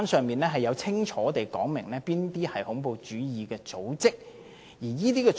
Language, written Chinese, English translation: Cantonese, 聯合國清楚訂明哪些組織為恐怖主義組織。, The United Nations has clearly stipulated which organizations are terrorist organizations